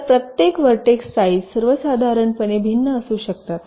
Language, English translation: Marathi, so the sizes of each of the vertices can be different in general